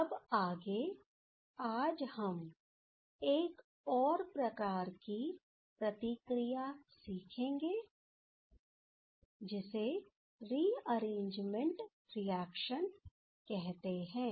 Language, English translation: Hindi, So, now next what today we will learn another type of reaction that is called rearrangement reactions ok